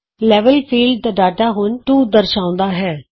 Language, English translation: Punjabi, The Data of Level field now displays 2